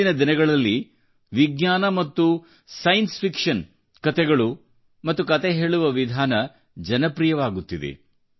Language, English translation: Kannada, These days, stories and storytelling based on science and science fiction are gaining popularity